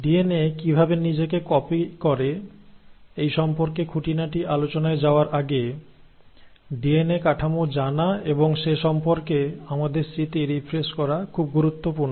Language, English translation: Bengali, Now, before I get into the nitty gritties of exactly how DNA copies itself, it is important to know and refresh our memory about the DNA structure